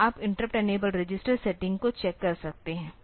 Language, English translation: Hindi, So, you can check the interrupt enabled register setting